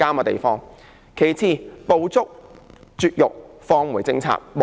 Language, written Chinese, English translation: Cantonese, 其次，不應停止"捕捉、絕育、放回"政策。, Moreover the Government should not stop the policy of Trap - Neuter - Return TNR